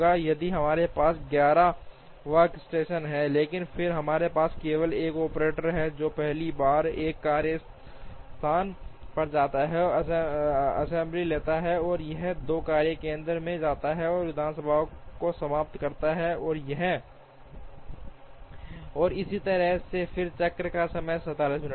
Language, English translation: Hindi, If, we have 11 workstations, but then we have only one operator who first goes to workstation 1 finishes, the assembly takes it goes to workstation 2, finishes the assembly and so on, then the cycle time will be 47 minutes